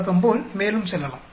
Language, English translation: Tamil, Let us go further as usual